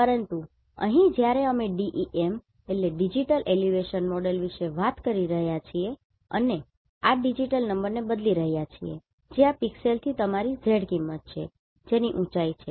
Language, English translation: Gujarati, But here when we are talking about digital elevation model, we are replacing this digital number that is your z value from this pixel with the height information